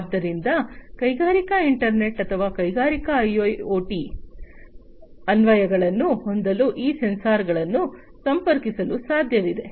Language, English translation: Kannada, So, it is possible to connect these sensors to have you know industrial internet or industrial IoT applications